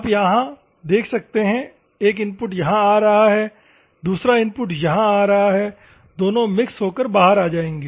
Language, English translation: Hindi, You can see here; one input is coming here, another input is coming here, both will mix and come out